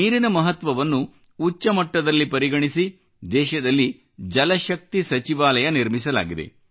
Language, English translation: Kannada, Therefore keeping the importance of water in mind, a new Jalashakti ministry has been created in the country